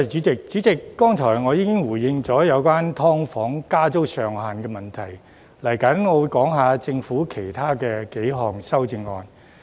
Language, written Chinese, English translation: Cantonese, 主席，我剛才已經回應有關"劏房"加租上限的問題，接下來我會講述政府其他幾項修正案。, Chairman just now I have responded to issues concerning the cap on rent increase for subdivided units SDUs . In the following I will talk about the other amendments proposed by the Government